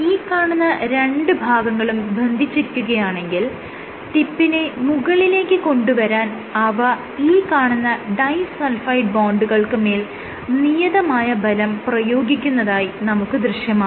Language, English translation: Malayalam, If both these ends remain attached, so when you try to bring the tip up as you try to bring the tip up, so it will exert forces on your individual disulfide bonds